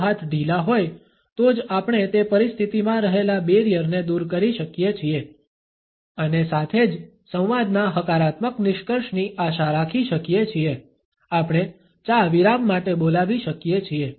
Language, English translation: Gujarati, Only if the hands are loose we can mitigate the barriers which exists in that situation as well as can be hopeful of a positive conclusion of the dialogue we can call for a tea break